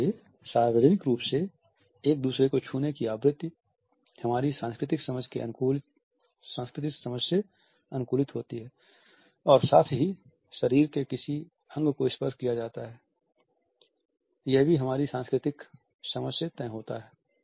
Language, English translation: Hindi, So, the amount in frequency of touching each other in public is conditioned by our cultural understanding and at the same time which body part is being touched upon is also decided by our cultural understanding